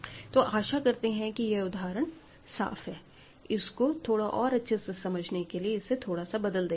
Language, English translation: Hindi, So, I hope this example is clear and to just to clarify this a little more, let us modify this slightly